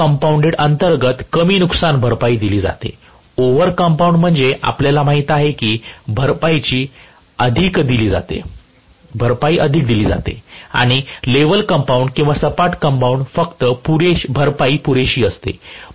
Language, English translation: Marathi, Under compounded is less amount of compensation given, over compounded is, you know, more amount of compensation given, and level compounded or flat compounded is just sufficient amount of compensation given